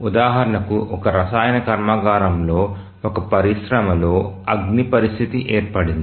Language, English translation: Telugu, For example, let's say a fire condition occurs in a industry in a chemical plant